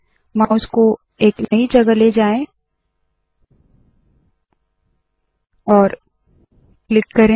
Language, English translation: Hindi, Move the mouse to the new location and click